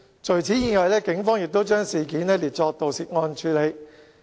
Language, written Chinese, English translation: Cantonese, 除此之外，警方亦已將事件列作盜竊案處理。, Besides the Police have also classified the case as burglary